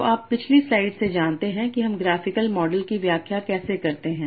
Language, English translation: Hindi, So you know from the previous slide how to interpret graphical model